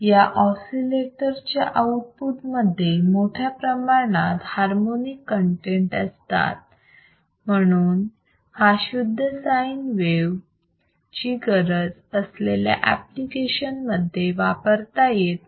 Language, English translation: Marathi, The harmonyic content in the output of this oscillator is very high hence it is not suitable for the applications which requires the pure signe wave